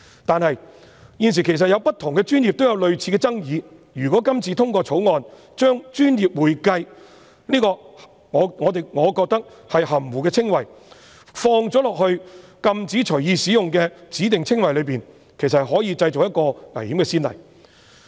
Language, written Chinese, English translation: Cantonese, 但是，現時在不同的專業也有類似爭議，如果今次通過《條例草案》，將我個人認為"專業會計"此含糊的稱謂放入禁止隨意使用的指定稱謂裏，其實可能製造危險的先例。, However there are similar controversies in various professions at present . Upon the passage of the Bill if the term professional accounting is included as a specified description which cannot be freely used a dangerous precedent may be set